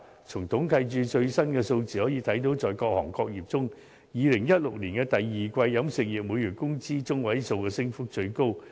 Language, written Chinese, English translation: Cantonese, 從統計處最新的數字可見，在各行各業中 ，2016 年第二季飲食業每月工資中位數的升幅最高。, According to the latest figures released by the Census and Statistics Department CSD the catering industry registered the highest increase in the median monthly wage among various trades in the second quarter of 2016